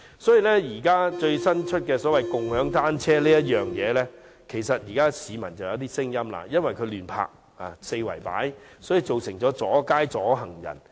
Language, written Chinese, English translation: Cantonese, 對於最新推出的共享單車計劃，其實市民已有一些意見，因為這些單車會被人四處亂泊，阻街阻行人。, As regards the newly - launched bicycle - sharing scheme people have already had some opinions because these bicycles are indiscriminately parked obstructing streets and people